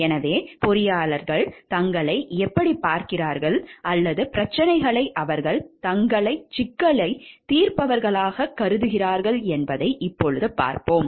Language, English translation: Tamil, So, now we will see how engineers view themselves or problems they view themselves as problem solvers